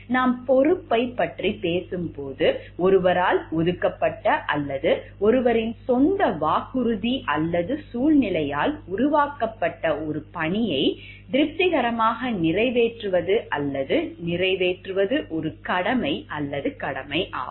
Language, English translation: Tamil, When we talk of responsibility, it is a duty or obligation to satisfactorily perform or complete a task assigned by someone or created by one’s own promise or circumstances that one must fulfil and which has a consequence of penalty for failure